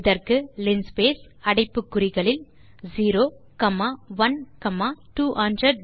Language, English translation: Tamil, we do that by typing linspace within brackets 0 comma 1 comma 200